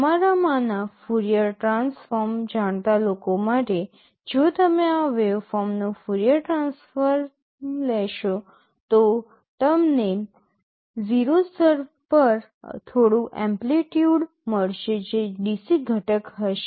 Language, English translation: Gujarati, For those of you who know Fourier transform, if you take the Fourier transform of this waveform you will get some amplitude at 0 level that will be the DC component